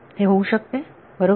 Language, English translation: Marathi, It could happen right